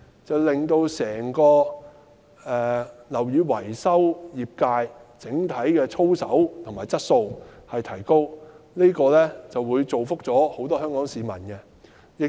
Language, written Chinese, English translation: Cantonese, 這樣便能令整個樓宇維修業界的整體操守和素質提高，造福香港市民。, This will help the entire building maintenance sector to raise its ethical and quality levels which will benefit the people of Hong Kong